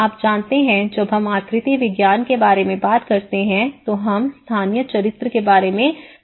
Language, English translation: Hindi, You know, when we talk about the morphology and when we talk about the spatial character